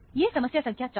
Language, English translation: Hindi, This is problem number 4